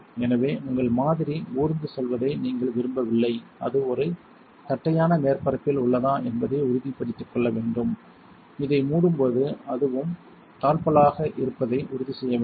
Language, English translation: Tamil, So, you do not want your sample to creep you want to make sure it is on a flat surface, when you close this you want to make sure it latches too